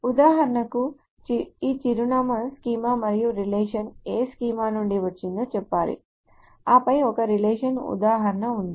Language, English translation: Telugu, For example, this address schema and the relation must say from which schema it comes from and then there is a relation instance